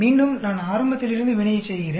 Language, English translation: Tamil, Again, I do the reaction, from the beginning